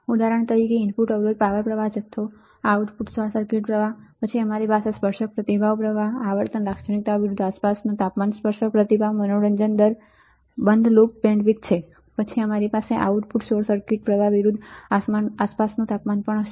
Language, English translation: Gujarati, For example, input resistance power supply current, output short circuit current, then we have tangent response current frequency characteristics versus ambient temperature, tangent slew rate close loop bandwidth, then we will also have output short circuit current versus ambient temperature